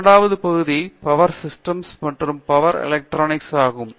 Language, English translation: Tamil, The second area is Power Systems and Power Electronics